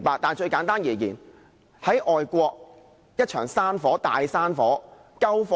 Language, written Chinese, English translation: Cantonese, 但最簡單的解釋是，在外國一場大山火，怎樣救火呢？, The simplest example is how an overseas country fights against a large wildfire?